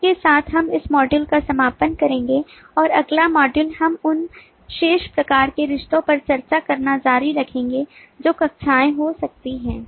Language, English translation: Hindi, as a part of relationship with this, we will conclude this module and the next module we will continue in discussing the remaining kinds of relationships that classes may have